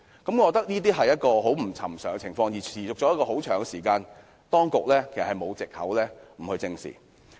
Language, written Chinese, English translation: Cantonese, 我覺得這個情況不尋常，而且已經持續一段長時間，當局沒有藉口不予正視。, I think this unusual situation has persisted for a long time and the authorities have no excuses not to address the problem